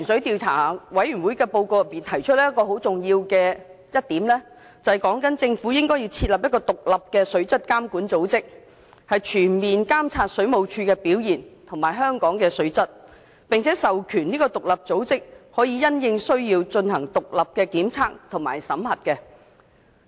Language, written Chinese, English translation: Cantonese, 《調查委員會報告》提出很重要的另一點，就是建議政府設立獨立的水質監管組織，全面監察水務署的表現及香港的水質，並授權該組織按需要進行獨立檢測及審核。, The Report of the Commission of Inquiry has made another vital recommendation . It has suggested that the Government set up an independent body to monitor water quality . This body will comprehensively monitor WSDs performance and the water quality of Hong Kong and will be empowered to conduct independent inspections and auditing when necessary